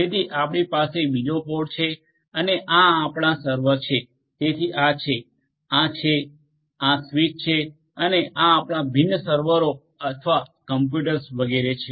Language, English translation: Gujarati, So, you will have another pod and these are your server so these are the, these are, these are the switches and these are your different servers or computers etcetera